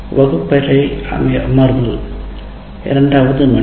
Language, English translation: Tamil, So the class session is first hour